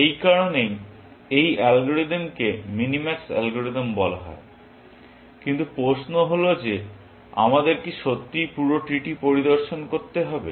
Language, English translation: Bengali, That is why, the algorithm is called minimax algorithm, but the question is that do we have to really inspect the entire tree, essentially